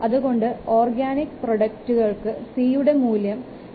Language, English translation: Malayalam, For organic mode, the value of C is 2